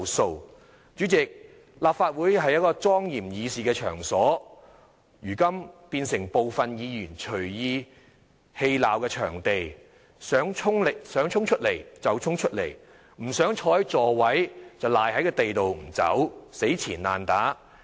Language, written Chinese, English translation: Cantonese, 代理主席，立法會是一個莊嚴議事的場所，如今卻變成部分議員隨意嬉鬧的場地，想衝出來就衝出來，不想坐在座位，便賴在地上不離開，死纏爛打。, Deputy President the Legislative Council is a solemn venue for debates on public affairs but it has now become a place where some Members will laugh and frolic at will dashing out of their seats when they want to and if they do not want to sit in their seats they can just sink to the ground and refuse to leave hanging on doggedly